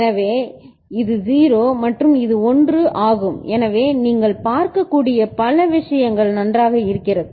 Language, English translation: Tamil, So, this is 0 and this is 1 and so these many things you can see is it fine ok